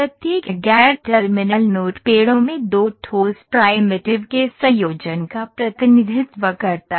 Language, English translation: Hindi, So, each non terminal node, represents a combination of two solid primitives in trees